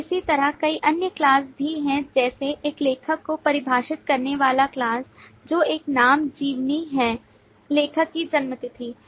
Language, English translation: Hindi, So, similarly, there are several other classes, like class defining an author, which is a name, biography, birth date of the author